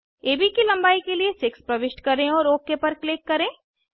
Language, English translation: Hindi, Lets enter 5 for length of AB and click ok